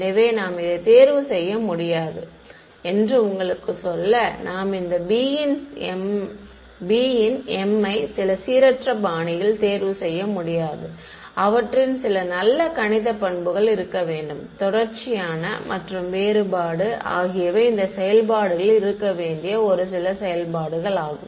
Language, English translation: Tamil, So, just to tell you that you cannot choose these; you cannot choose these b m’s in some random fashion, they should have some nice mathematical properties ok, continuity and differentiability are some of the popular ones that these functions should have